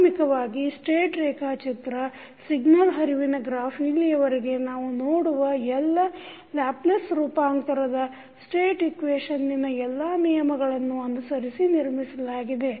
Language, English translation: Kannada, Basically, the state diagram is constructed following all rules of signal flow graph which we have seen till now using Laplace transformed state equation